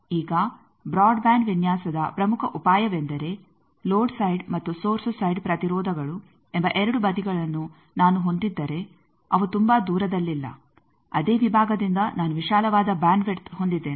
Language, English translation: Kannada, Now, this is the key idea for broadband design that if I have the two sides that means, load side and source side impedance's they are not very far away then I have a wider bandwidth from the same section